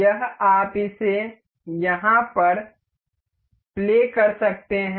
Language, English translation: Hindi, This is you can play it over here